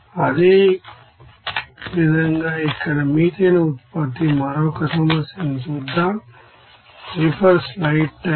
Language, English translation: Telugu, Similarly another problem here methane production